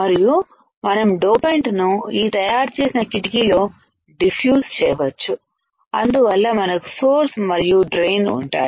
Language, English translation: Telugu, And we can diffuse the dopant in the window created and thus we have the source and drain